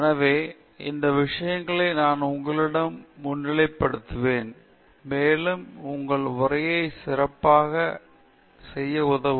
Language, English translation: Tamil, So, these are things that I will highlight to you and so that would help you make your talk better